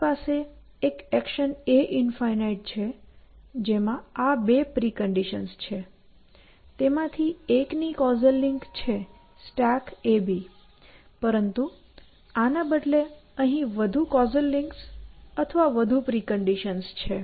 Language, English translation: Gujarati, I have one action a infinity which has these two preconditions; one of them has a causal link which is stack a on b, but this instead intern has more casual links or more preconditions